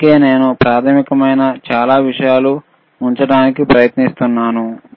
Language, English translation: Telugu, That is why I am trying to keep a lot of things which are basic